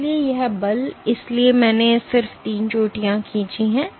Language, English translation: Hindi, So, this force, so I have just drawn three peaks